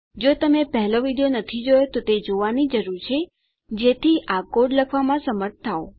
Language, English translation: Gujarati, If you have not watched the 1st video you need to do so, to be able to write this code out